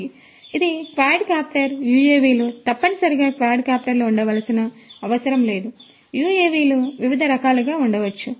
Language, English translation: Telugu, So, this is a quadcopter UAVs do not necessarily have to be quadcopters, UAVs could be of different different types